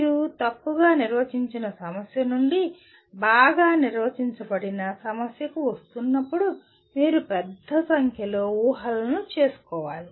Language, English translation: Telugu, When you are coming from a ill defined problem to well defined problem you have to make a large number of assumptions